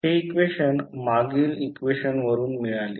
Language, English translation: Marathi, So, we got this equation from the previous equation